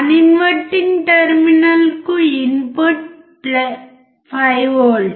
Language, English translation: Telugu, The input to the non inverting terminal is 5V